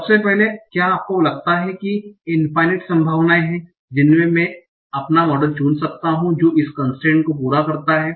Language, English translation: Hindi, Now, firstly, do you think there are infinite number of possibilities in which I can choose my model that satisfy this constraint